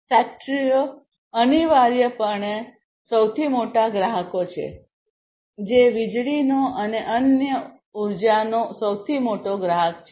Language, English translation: Gujarati, Factories are essentially the largest consumers, one of the largest consumers of electricity and different other energy